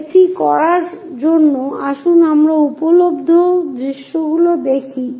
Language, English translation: Bengali, To do that let us look at the views available